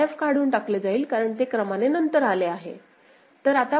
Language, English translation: Marathi, So, f will be removed because it comes later in the order